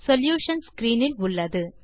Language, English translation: Tamil, The solutions are on your screen